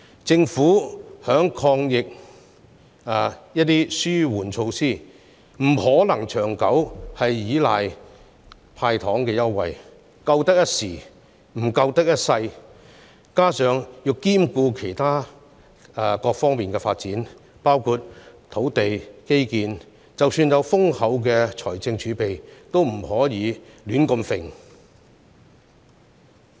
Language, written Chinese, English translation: Cantonese, 政府在抗疫的紓緩措施上，不可能長久依賴"派糖"的優惠，因為並非長遠之計，況且還須兼顧其他各方面的發展，即使有豐厚的財政儲備，也不可胡亂花費。, In the long run the Government cannot rely on making concessionary offers as a relief measure against the pandemic as this will not make a long - term solution . Meanwhile the Government has to take care of the developments on various fronts as well including land and infrastructure . Therefore even if we have abundant fiscal reserves the Government should not spend money indiscriminately